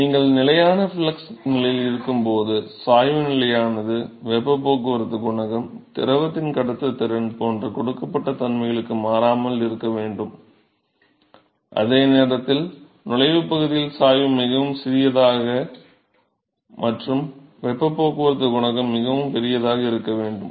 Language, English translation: Tamil, So, therefore, the gradient is constant when you have a constant flux condition, and therefore, the heat transport coefficient has to remain constant for a given set of properties tike conductivity of the fluid, while in the entry region the gradient is very small and therefore, the heat transport coefficient has to be very large